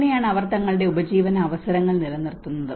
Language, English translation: Malayalam, And that is how they sustain they livelihood opportunities